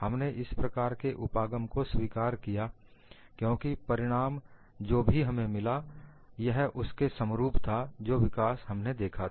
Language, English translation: Hindi, We have accepted that kind of an approach, because the results whatever that we have got were in tune with the kind of developments that we have seen